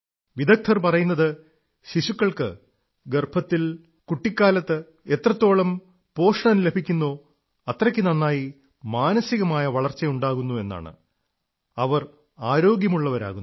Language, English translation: Malayalam, Experts are of the opinion that the better nutrition a child imbibes in the womb and during childhood, greater is the mental development and he/she remains healthy